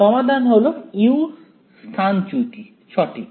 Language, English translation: Bengali, Final solution is u the displacement right